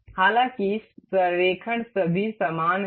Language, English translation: Hindi, However, the alignment is all same